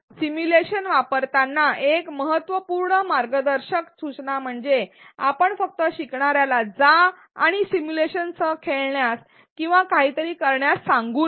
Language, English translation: Marathi, And important guideline while using simulations is that we should not simply ask the learner to go and do or play with the simulation